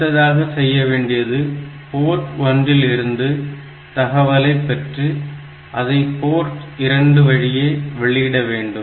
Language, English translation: Tamil, So, it will get the data from port P 1 and send it to port P 2 continually